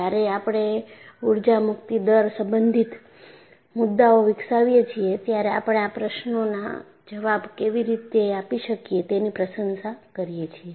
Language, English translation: Gujarati, When we develop the concepts related to energy release rate, we would be able to appreciate how these questions can be answered